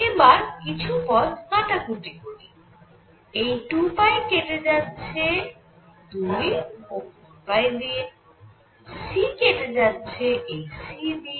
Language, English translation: Bengali, Let us now cancel a few terms; this 2 pi cancels with this 2 and 4 pi; c cancels with this c